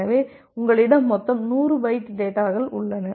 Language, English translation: Tamil, So, you have total 100 bytes of data